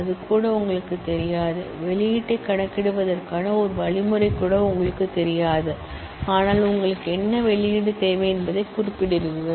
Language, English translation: Tamil, You may not even know that, you may not even know a single algorithm to compute the output, but you specify what output you need